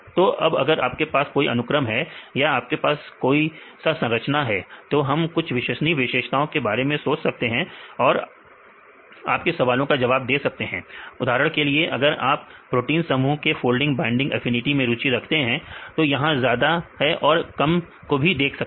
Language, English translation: Hindi, So, now, if you have a sequence or if you have a structure we can think of the reliable features which can address your problem for example, if you are interested in binding affinity of folding proteins complexes this is high affinity or low affinity